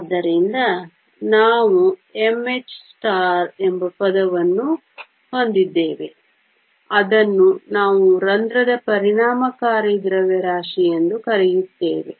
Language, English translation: Kannada, So, we also have a term called m h star which we call effective mass of the hole